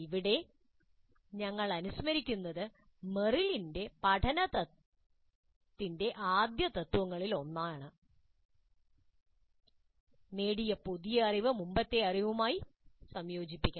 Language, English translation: Malayalam, If we recall this is also one of the Merrill's first principles of learning that the new knowledge acquired must be integrated with the previous knowledge